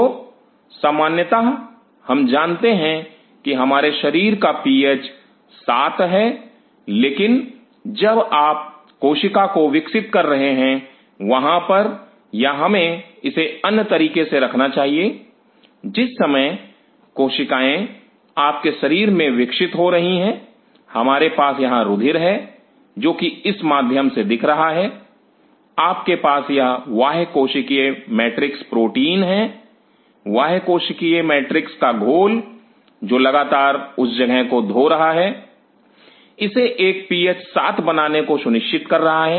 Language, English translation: Hindi, So, generally we know our body PH is at 7, but while you are growing the cell, there are or let us put it other way; while the cells are growing in your body, we have this blood which is slowing through you have these extra cellular matrix proteins; extra cellular matrix solution which is continuously washing out that spot ensuring it to make a PH 7